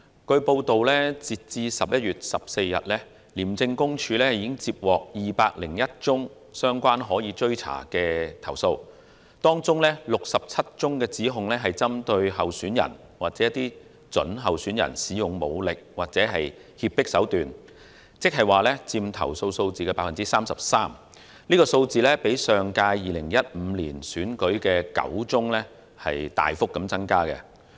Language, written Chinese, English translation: Cantonese, 據報道，截至11月14日，廉政公署已接獲201宗相關的可追查投訴，當中67宗指控是針對候選人或準候選人使用武力或脅迫手段，佔投訴數字的 33%， 較上屆2015年區選的9宗大幅增加。, It was reported that as at 14 November the Independent Commission Against Corruption ICAC had received 201 pursuable reports in this respect and among them 67 were related to allegations concerning the use of force or duress against candidates or prospective candidates accounting for 33 % of the total number of complaints and far exceeding the number of such complaints received during the last DC Election in 2015